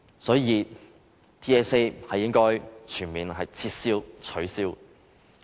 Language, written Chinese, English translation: Cantonese, 所以 ，TSA 是應該全面取消的。, Therefore TSA should be completely abolished